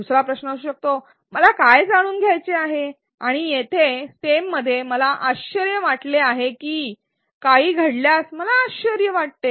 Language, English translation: Marathi, Another question can be, what do I want to know and the stem here is I wonder if or I wonder do does something happen